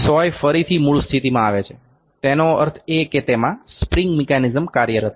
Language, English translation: Gujarati, The needle comes back to the original position; that means, thus it is some spring mechanism that is working in